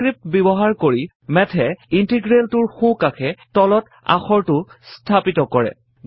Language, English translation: Assamese, Using the subscript, Math places the character to the bottom right of the integral